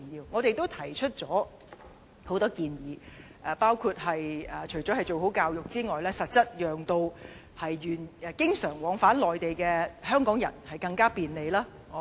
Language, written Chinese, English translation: Cantonese, 我們都提出了許多建議，包括教育之外，也要實質讓經常往返內地的香港人更加便利。, We have put forward many suggestions in this regard including education - related proposals and proposals aiming to offer more convenience to Hong Kong people who travel frequently between Mainland and Hong Kong